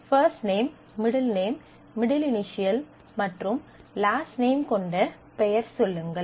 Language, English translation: Tamil, Say, name which has first name middle name, initial middle initials and last name